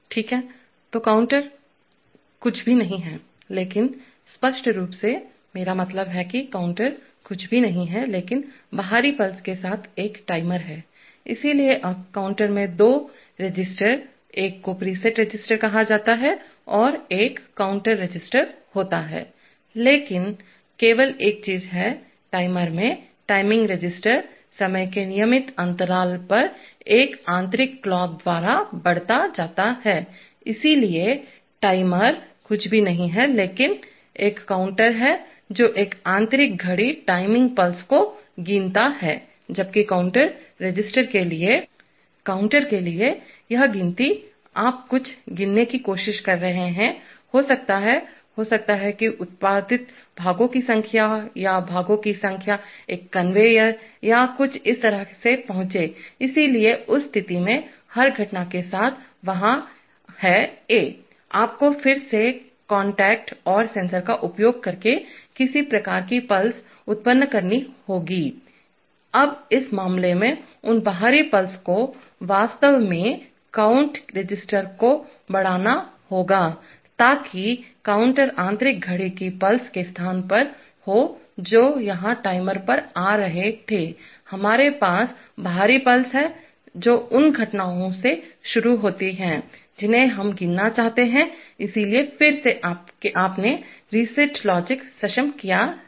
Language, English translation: Hindi, Okay, so now the counter is nothing but, frankly speaking the, I mean the counter is nothing but, a timer with an external pulse, so now the, in the, in the counter also, in the counter also there are two registers one is called a preset register and there is a count register, but only thing is that, in the timer the timing register is incremented by an internal clock at regular intervals of time, so the timer is nothing but a counter which counts the timing pulses from an internal clock, while for the count register, For the counter, this count, you are trying to count something, maybe the, maybe the number of parts produced or the number of parts arrived on a conveyor or something like that, so in which case, with every event taking place, there is a, you have to generate some kind of a pulse using again contacts and sensors, now those external pulses in this case will actually augment the count resistor, so that counter is, in place of the internal clock pulses which were coming at the timer here, we have external pulses which are triggered by the events that we want to count, so again you have enable reset logic